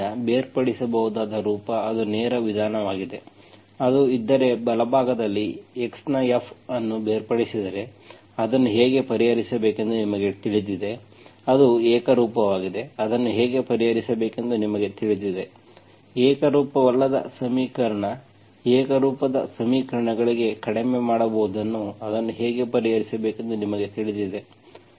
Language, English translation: Kannada, So separable form, that is a direct method, if it is, if the right hand side, F of x is separated, you know how to solve it, it is homogenous, you know how to solve it, non homogeneous equation that can be reduced to homogeneous equations, you know how to solve it